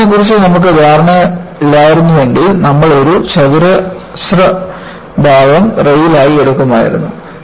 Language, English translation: Malayalam, If you had no understanding of bending, you would have taken a square section as a rail